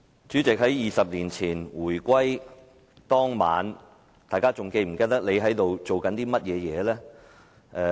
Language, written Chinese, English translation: Cantonese, 主席 ，20 年前回歸當晚，大家是否記得當時在做甚麼？, President do Members remember what they were doing in the evening of the reunification day 20 years ago?